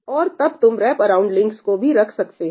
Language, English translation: Hindi, And then, you can put wraparound links also